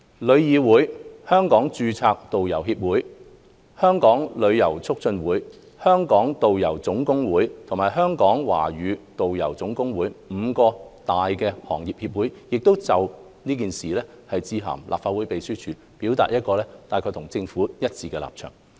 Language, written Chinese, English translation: Cantonese, 旅議會、香港註冊導遊協會、香港旅遊促進會、香港導遊總工會和香港導遊總工會五大行業協會亦已就此致函立法會秘書處，表達與政府一致的立場。, TIC The Hong Kong Association of Registered Tour Co - ordinators the Hong Kong Tourism Association the Hong Kong Tour Guides General Union and the Hong Kong Chinese Tour Guides General Union have written to the Secretariat of the Legislative Council to give views that side with the Government